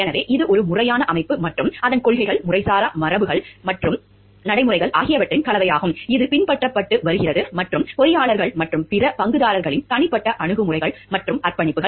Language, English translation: Tamil, So, it is a blend of formal organization and its policies, informal traditions and practices, which have been followed and the personal attitudes and the commitments of the engineers and the other stakeholders